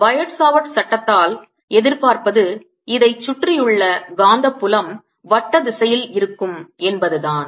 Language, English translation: Tamil, i anticipate by biosphere law that magnetic field around this is going to be the circular direction